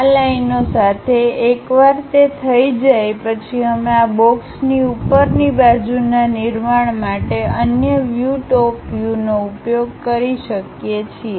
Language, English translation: Gujarati, Along with these lines, once it is done we can use the other view top view to construct top side of this box